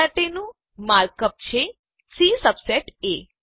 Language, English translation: Gujarati, The mark up for this is C subset A